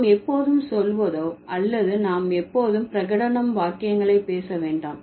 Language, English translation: Tamil, We do not always say or we do not always speak declarative sentences, right